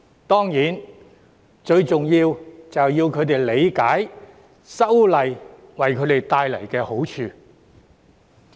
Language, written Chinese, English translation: Cantonese, 當然，最重要就是要他們理解修例為他們帶來的好處。, Of course it is most important for them to understand the advantages that the legislative amendments will bring to them